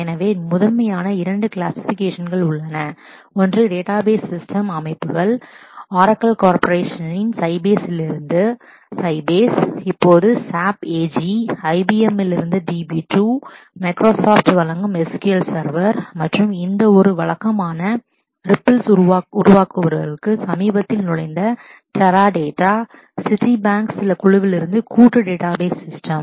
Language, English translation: Tamil, So, there are primarily 2 classifications; one is a set of database systems are commercial Oracle from the Oracle corporation, Sybase from Sybase corporation which is now SAP AG, DB2 from IBM, SQL Server from Microsoft and the recent entrant to that who is making a regular ripples is Teradata which is a you know joint database systems from Caltech and certain group of Citibank